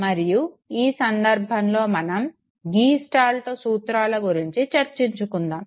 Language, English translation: Telugu, And in this context, we would be talking about the gestalt principles